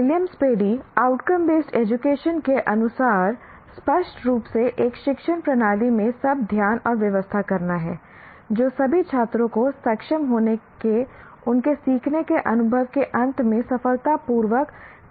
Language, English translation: Hindi, As per Williams Paddy, outcome based education means clearly focusing and organizing everything in an educational system around what is essential for all students to be able to do successfully at the end of their learning experience